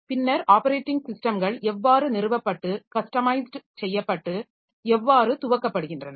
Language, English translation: Tamil, Then how operating systems are installed and customized and how they boot